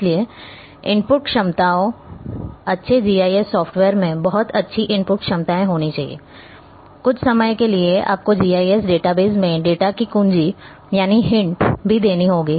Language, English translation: Hindi, So, the input capabilities, good GIS software should have very good input capabilities; some time you even have to key in the data within the GIS database